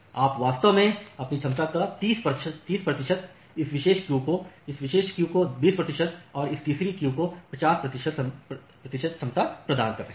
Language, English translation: Hindi, So, you are actually providing 30 percent of your capacity to this particular queue, 20 percent of the capacity to this particular queue and 50 percent of the capacity to this third queue